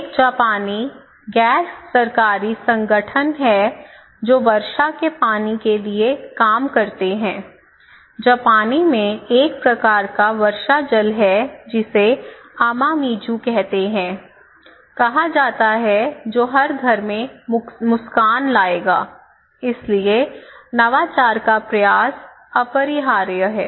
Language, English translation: Hindi, There is a Japanese organization, non profit organization people for rainwater, they said okay, this is called Amamizu, in Japanese is called a kind of rainwater that will bring smile to every home therefore, diffusion of innovation is inevitable